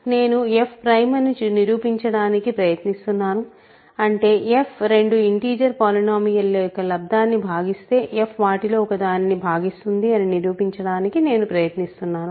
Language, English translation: Telugu, I am trying to prove f is prime; that means, I am trying to prove that if f divides a product of two integer polynomials; I will show that it divides one of them